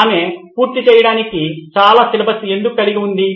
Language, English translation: Telugu, Why does she have a lot of syllabus to cover